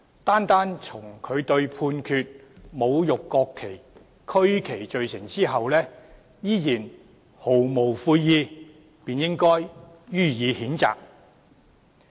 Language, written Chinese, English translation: Cantonese, 單從他對被判侮辱國旗及區旗罪成後依然毫無悔意，便應予以譴責。, The fact that he remained unrepentant even after he was convicted of desecrating the national flag and regional flag constitutes a ground for the censure